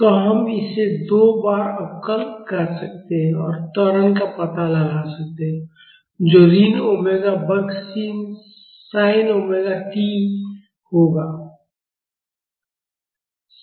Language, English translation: Hindi, So, we can differentiate this twice and find out the acceleration that would be minus omega square C sin omega t(Csin(